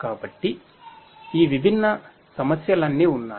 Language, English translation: Telugu, So, all of these different issues are there